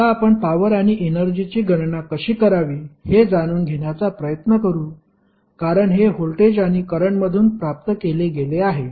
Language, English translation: Marathi, Now, let us try to find out how to calculate the power and energy because these are derived from voltage and current